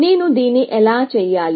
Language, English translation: Telugu, How do I do this